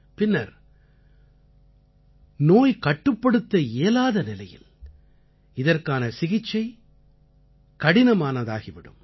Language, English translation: Tamil, Later when it becomes incurable its treatment is very difficult